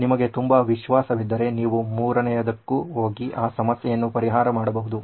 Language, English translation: Kannada, If you are very confident you can even go to the 3rd one and do it